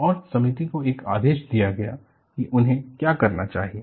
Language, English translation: Hindi, And, the committee was given a dictum, what they should do